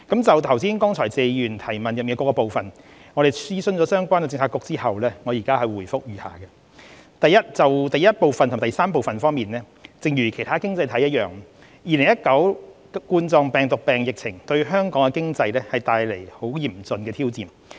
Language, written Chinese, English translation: Cantonese, 就剛才謝議員提問中的各個部分，經諮詢相關政策局後，我現回覆如下：一及三正如其他經濟體一樣 ，2019 冠狀病毒病疫情對香港的經濟帶來極其嚴峻的挑戰。, In consultation with relevant Policy Bureaux my reply to the various parts of the question raised by Mr TSE just now is as follows 1 and 3 Same as other economies the COVID - 19 pandemic has dealt a very severe blow to the Hong Kong economy